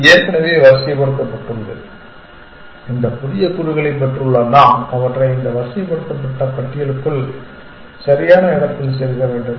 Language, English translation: Tamil, So, this is already sorted and we have get this we have got this new elements and we have to sort of insert them into in the right place inside this sorted list